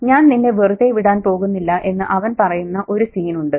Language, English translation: Malayalam, He whizzles and there's one scene where he says, I'm not going to leave you alone